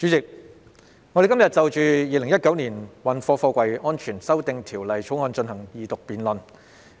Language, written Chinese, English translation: Cantonese, 主席，我們今天進行《2019年運貨貨櫃條例草案》的二讀辯論。, President we are conducting the Second Reading debate on the Freight Containers Safety Amendment Bill 2019 the Bill today